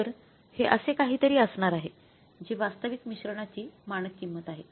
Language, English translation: Marathi, So, this is going to be something like this that is the standard cost of actual mix